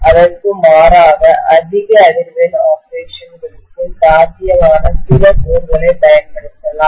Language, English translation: Tamil, Rather than that, they might use some cores which are rather viable for high frequency operations